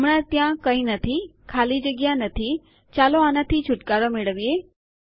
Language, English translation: Gujarati, Theres nothing in there at the moment no space lets get rid of that